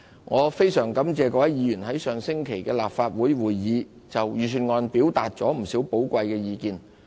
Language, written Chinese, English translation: Cantonese, 我非常感謝各位議員在上星期的立法會會議就預算案表達了不少寶貴意見。, I am very grateful to Members for their many valuable suggestions on the Budget made in the Legislative Council meeting last week